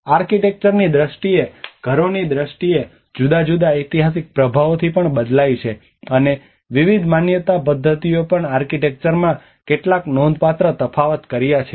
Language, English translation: Gujarati, In terms of the houses in terms of the architecture it also varies from different historical influences, and different belief systems have also made some significant differences in the architecture